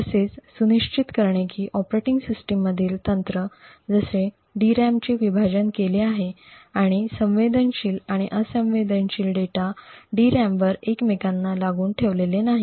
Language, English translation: Marathi, Similarly, techniques in the operating system like ensuring that the DRAM is partitioned, and sensitive and non sensitive data are not placed adjacent to each other on the DRAM